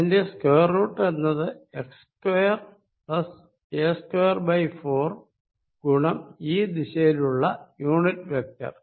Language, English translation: Malayalam, Square of that is going to be x square plus a square by 4, times unit vector in this direction